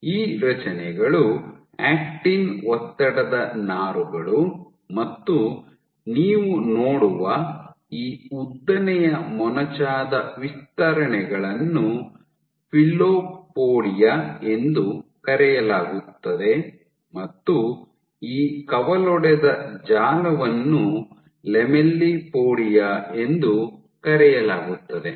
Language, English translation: Kannada, So, these structures your actin stress fibers this long pointed extensions that you see are called filopodia and this branched network this portion of the network is lamellipodia